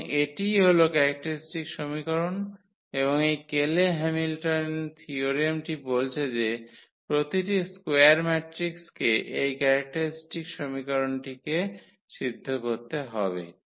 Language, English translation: Bengali, And, that is what the characteristic equation and this Cayley Hamilton theorem says that every square matrix satisfy its characteristic equation